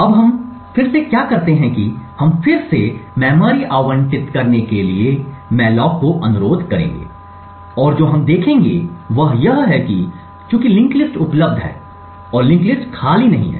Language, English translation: Hindi, for memory to be allocated again with this call to malloc and what we would see is that since the linked list is available and the link list is not empty